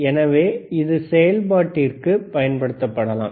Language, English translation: Tamil, So, it can be used for operation